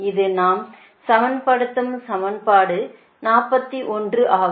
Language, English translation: Tamil, this is equation forty one